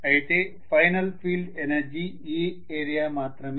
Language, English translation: Telugu, But the final field energy present is only this area